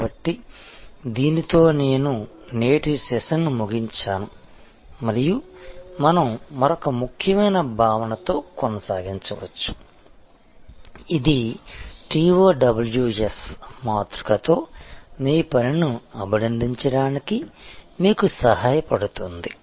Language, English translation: Telugu, So, with this I will end today's session and we can continue with another important concept, which will help you to compliment your work with the TOWS matrix